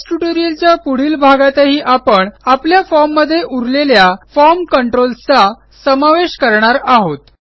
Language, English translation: Marathi, In the next part of the Base tutorial, we will continue adding the rest of the form controls to our form